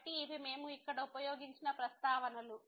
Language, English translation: Telugu, So, these are the references we used here